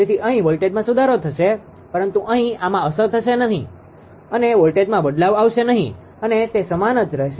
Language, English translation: Gujarati, So, voltage will be improved here, but here and here it will remain unaffected right there will be no change in voltage almost it will remain same